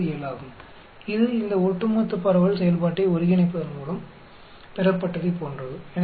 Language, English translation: Tamil, 407, that is same as what is got by integrating this Cumulative distribution function